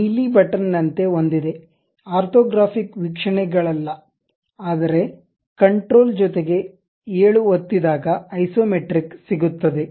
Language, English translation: Kannada, There is something like a blue button not the views orthographic views, but there is something like isometric with control plus 7